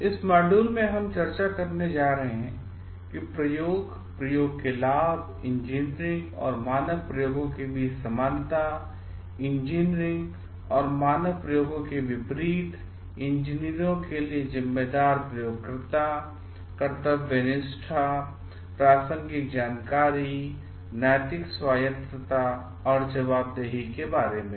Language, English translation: Hindi, In this module, we are going to discuss about what is experimentation, benefits of experimentation, similarities between engineering and standard experiments, contrasting engineering and standard experiments, engineers as responsible experimenters, conscientiousness, relevant information, moral autonomy and accountability